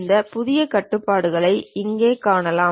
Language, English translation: Tamil, Here we can see this New control